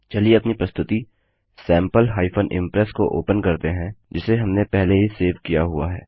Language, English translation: Hindi, Lets open our presentation Sample Impress which we had saved earlier